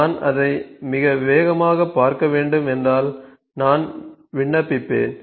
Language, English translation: Tamil, So, if I need to see it in a fastest way so I will just apply and ok